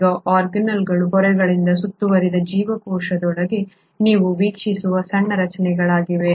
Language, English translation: Kannada, Now, organelles are small structures that you observe within a cell which themselves are bounded by membranes